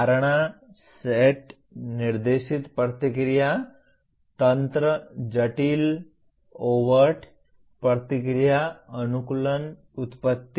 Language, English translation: Hindi, Perception, set, guided response, mechanism, complex overt response, adaptation, originations